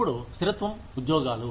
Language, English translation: Telugu, Now, stability of jobs